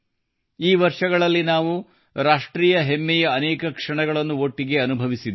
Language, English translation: Kannada, Together, we have experienced many moments of national pride in these years